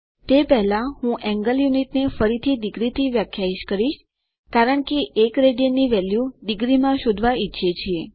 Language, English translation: Gujarati, Before that I will redefine the angle unit to be degrees because we want to find the value of 1 rad in degrees